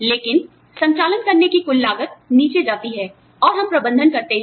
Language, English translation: Hindi, But, the overall cost of running the operation, goes down, and we manage